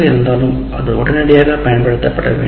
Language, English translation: Tamil, But it should be immediately applied